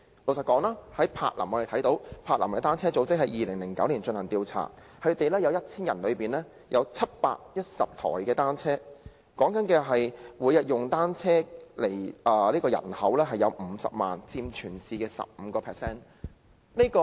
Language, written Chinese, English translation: Cantonese, 根據柏林的單車組織在2009年進行的調查，當地每 1,000 人便有710輛單車，每天使用單車的人口有50萬，佔全市的 15%。, According to a survey conducted by a cycling organization in Berlin the city has 710 bicycles per 1 000 people and 500 000 of its population accounting for 15 % of the population of the city commute by bicycles every day